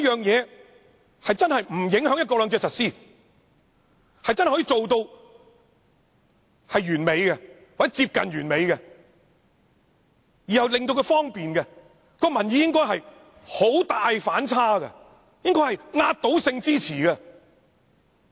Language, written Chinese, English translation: Cantonese, 如果方案真的不影響"一國兩制"的實施，真正做到完美或接近完美，而又令市民方便，這樣民意應有很大的反差，應該是壓倒性支持。, If the government proposal is really perfect or almost perfect able to add to peoples transportation convenience without causing any adverse effects on the implementation of one country two systems public opinions would have been very different . There would have been overwhelming support for the government proposal